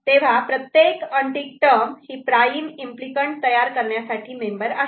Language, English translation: Marathi, So, each unticked term is a member to contribute to prime implicant generation